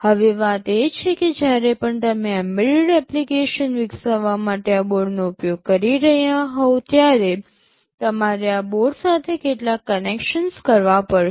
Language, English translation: Gujarati, Now the thing is that whenever you are using this board to develop an embedded application you will have to make some connections with this board